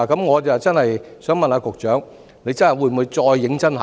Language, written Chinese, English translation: Cantonese, 我想問局長，政府會否再次認真考慮？, May I ask the Secretary whether the Government will seriously reconsider our request?